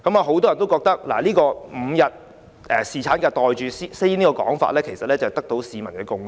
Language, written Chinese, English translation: Cantonese, 很多人也覺得 ，5 天侍產假"袋住先"這個說法得到市民的共識。, Many people think that pocketing it first by accepting the proposed five - day paternity leave is a broad consensus among the public